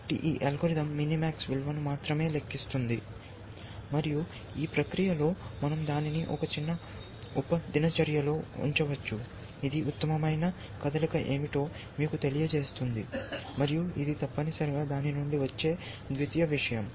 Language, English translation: Telugu, So, let us say, this algorithm only computes a minimax value, and on the process, we can put in a small routine, which will tell you what is the best move, that is the secondary thing, which comes out of it essentially